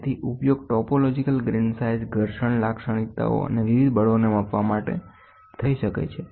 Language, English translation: Gujarati, So, it can be used to measure topological grain size frictional characteristics and different forces